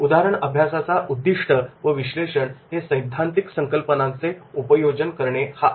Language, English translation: Marathi, The objectives of the case study and analysis is application of theoretical concepts